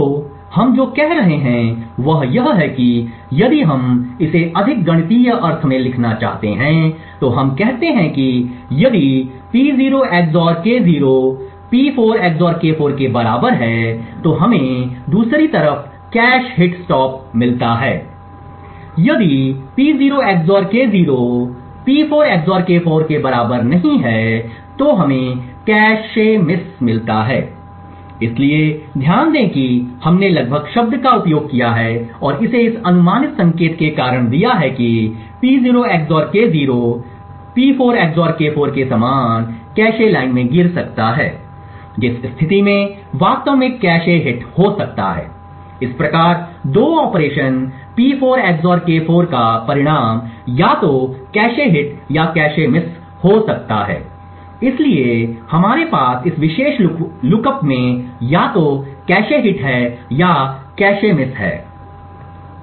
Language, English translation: Hindi, So what we are saying is that if we just want to write it in a more mathematical sense we say that if P0 XOR K0 is approximately equal to P4 XOR K4 then we get a cache hit stop on the other hand if P0 XOR K0 is not equal to P4 XOR K4 then we get a cache miss, so notice that we have used the word approximately and given it this approximate signal because of the reason that P0 XOR K0 may fall in the same cache line as P4 XOR K4 in which case a cache hit could actually happen, so thus the 2nd operation P4 XOR K4 could result either in a cache hit or a cache miss, so what we have is this particular lookups either has a cache hit or a cache miss